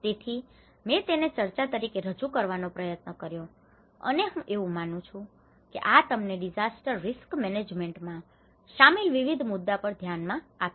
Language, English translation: Gujarati, So, I just try to present it as a discussion and I think this will give you an eye opening for variety of issues which are involved in the disaster risk management